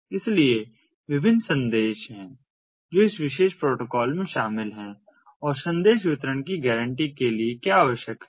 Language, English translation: Hindi, so there are different messages that are involved in this particular protocol and what is required is to have message delivery guarantees